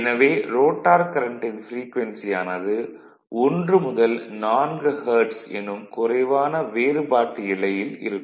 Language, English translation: Tamil, So, that the frequency of the rotor current is as low as 1 to 4 hertz right